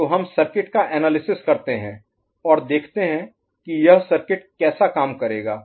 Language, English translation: Hindi, So we analyze this circuit and we see that this is how the circuit will behave